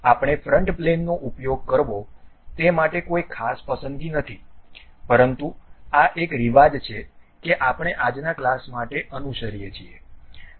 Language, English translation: Gujarati, There is no particular preference why front plane we have to use ah, but this is a custom what we are following for today's class